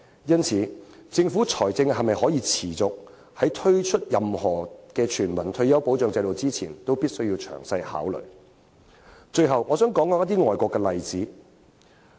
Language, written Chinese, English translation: Cantonese, 因此，政府必須在推出任何全民退休保障制度前，詳細考慮其在財政上是否可以持續作出這方面的承擔。, Therefore before launching any universal retirement protection system the Government must consider thoroughly whether its financial commitment in this regard is sustainable